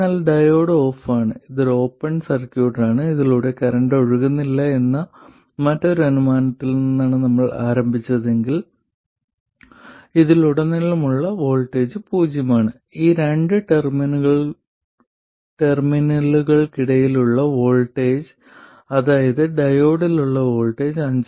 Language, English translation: Malayalam, But let's see if we had started off from the other assumption that the diode is off, then the diode is off, this is an open circuit, no current is flowing through this, so the voltage across this is 0 and the voltage between these two terminals, which is the voltage across the diode diode will be 5